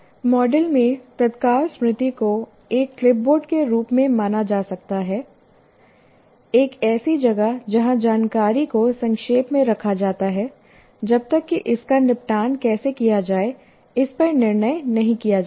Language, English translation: Hindi, Okay, immediate memory in the model may be treated as a clipboard, a place where information is put briefly until a decision is made, how to dispose it off